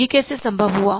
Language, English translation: Hindi, So how it is possible